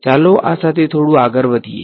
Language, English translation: Gujarati, Let us move a little bit ahead with this